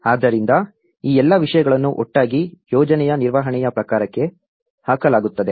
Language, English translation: Kannada, So, all these things collectively put into the kind of management of the project